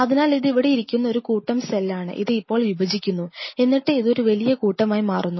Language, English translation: Malayalam, So, this is a mass of cell sitting out here which is dividing now it divide form a bigger mass this